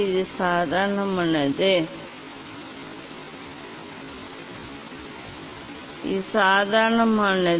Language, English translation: Tamil, this is the normal, this is the normal